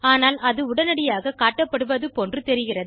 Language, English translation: Tamil, But it seemed to showing immediately